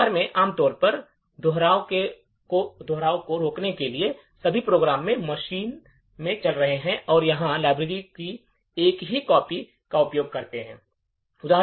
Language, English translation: Hindi, In practice, typically to prevent duplication, all programs that are running in a machine would use the same copy of the shared library